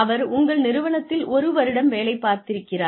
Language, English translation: Tamil, The employee has, spent one year in your organization